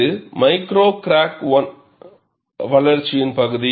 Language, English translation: Tamil, This is the region of micro crack growth